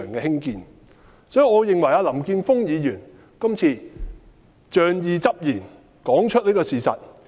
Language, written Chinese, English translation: Cantonese, 所以，我認為林健鋒議員今次說出事實是仗義執言。, For that reason I consider that Mr Jeffrey LAM has spoken up for justice by telling the truth this time around